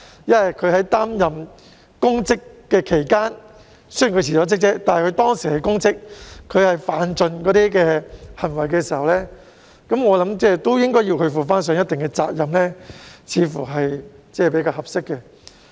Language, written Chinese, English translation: Cantonese, 雖然某些公職人員已經辭職，但在擔任公職期間犯盡所有錯誤行為，我認為他們亦應負上一定責任，這樣似乎較為合適。, I think those public officers who have committed all sorts of misconduct while in office should bear some responsibilities despite their resignation . This seems more appropriate